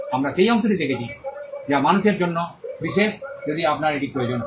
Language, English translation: Bengali, We are looking at that part, which is special to human beings, if you need to put it that way